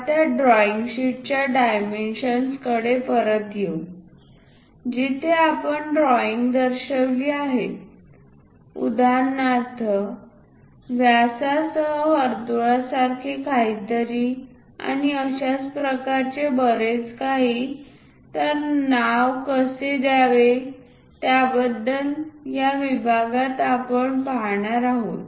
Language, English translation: Marathi, Now, coming back to the dimensions of the drawing sheet, where we have shown the pictures for example, something like a circle with diameter and so, on so, things how to name such kind of things we are going to look at in this section